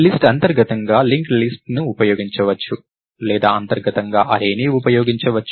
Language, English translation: Telugu, So, as an adt for a list, could use a link list internally or it could use an array internally